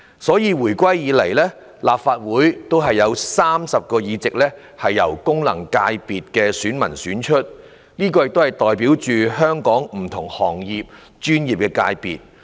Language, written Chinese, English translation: Cantonese, 所以，自回歸以來，立法會有30個議席由功能界別的選民選出，代表香港不同行業、專業界別。, Therefore 30 seats in the Legislative Council have been returned from FCs since the reunification to represent different industries and professional sectors